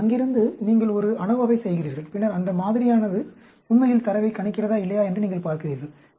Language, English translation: Tamil, So, from there, you perform an ANOVA, and then you see, whether the model is really predicting the data or not